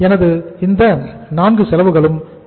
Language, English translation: Tamil, So all these 4 costs are important